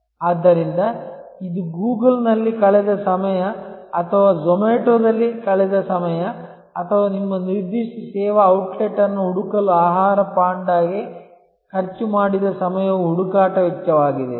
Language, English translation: Kannada, So, this is also the time spent on Google or the time spent on Zomato or the spent on food Panda to search out your particular service outlet is the search cost